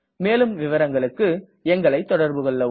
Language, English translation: Tamil, Please contact us for more details